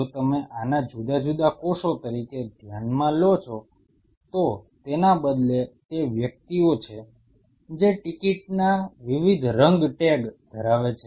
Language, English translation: Gujarati, If you consider these as different cells, instead of these are individuals who are holding different color tag of tickets